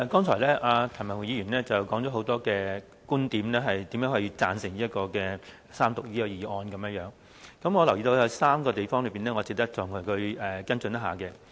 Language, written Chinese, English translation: Cantonese, 主席，譚文豪議員剛才提出很多觀點，說明為何支持《2017年稅務條例草案》的三讀，我留意到有3個地方，值得再與他跟進一下。, President Mr Jeremy TAM just raised many viewpoints to explain why he supports the Third Reading of the Inland Revenue Amendment No . 2 Bill 2017 the Bill and there are three aspects which I would like to follow up with him